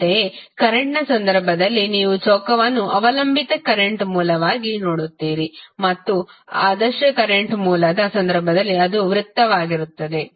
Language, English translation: Kannada, Similarly, in case of current you will see square as a dependent current source and in case of ideal current source it will be circle